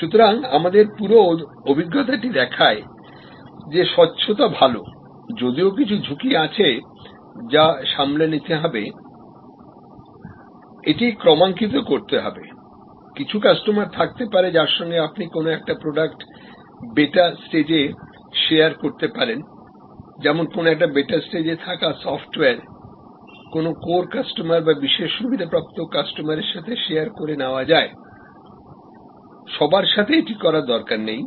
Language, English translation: Bengali, So, and the whole our experience shows that transparency is good, there is a amount of risk that needs to be managed, need to calibrate it, you can have some customers with you can share a product at its beta stage, software at its beta stage that are your core customers, privilege customers you do not need to do it with everybody